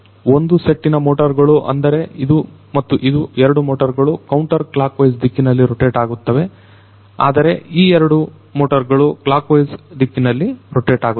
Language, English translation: Kannada, And one set of motors one set of motors will rotate like this one and this one, these two motors will rotate in a counterclockwise direction whereas, these two motors rotate in the clockwise direction